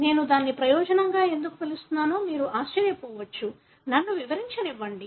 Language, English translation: Telugu, You may be surprised why I am calling it as advantage; let me explain